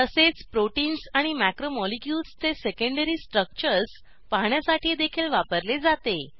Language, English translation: Marathi, And also * Used to view secondary structures of proteins and macromolecules